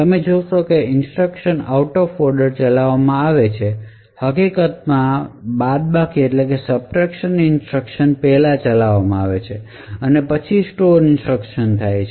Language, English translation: Gujarati, So, you see that the instructions are actually executed out of order, the subtract instruction in fact is executed first, then we have the store instruction and so on